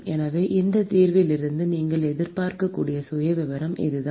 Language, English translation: Tamil, So, that is the profile that you can expect from this solution